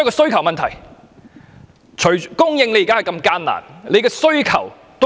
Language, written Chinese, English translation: Cantonese, 房屋問題關乎供應，亦關乎需求。, Housing issues are about supply as well as demand